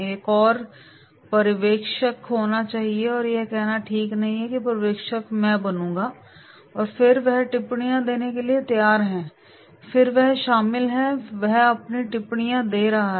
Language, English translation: Hindi, One has to be an observer and one say okay I will be the observer and then he is ready to give the comments and then he is involved, he is giving his comments